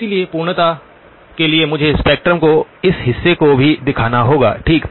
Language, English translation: Hindi, So I would have to for completeness show this portion of the spectrum as well okay